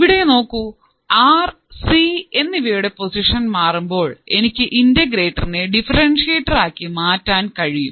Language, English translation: Malayalam, See, so just by changing the position of R and C, I can form an integrator and differentiator circuit